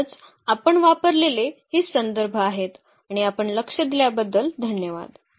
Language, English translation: Marathi, So, these are the references we have used and thank you for your attention